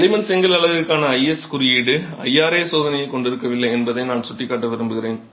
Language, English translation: Tamil, I would like to point out that the IS code for clay brick units does not have an IRA test